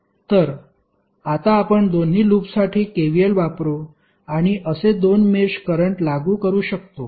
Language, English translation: Marathi, So, now the two mesh currents you can use and apply KVLs for both of the loop